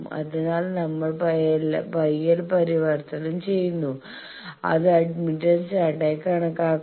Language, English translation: Malayalam, So, we are converting Y L and consider this as admittance chart